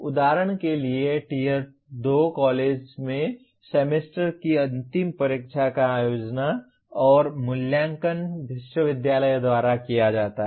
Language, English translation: Hindi, For example in tier 2 college Semester End Examination is conducted and evaluated by the university